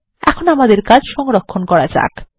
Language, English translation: Bengali, Let us save our work now